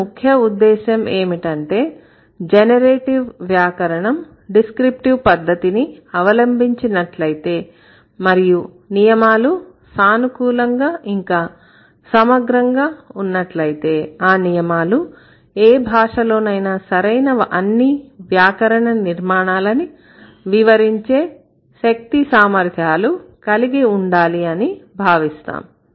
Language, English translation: Telugu, So, then the concern here is that generative grammar has been following descriptive approach and then it should the rules are flexible, the rules are exhaustive enough or the rules must have that kind of ability which would be able to explain all kinds of grammatically correct constructions in any given language